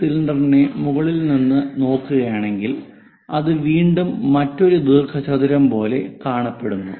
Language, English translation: Malayalam, If we are looking from top of that this cylinder again follows another rectangle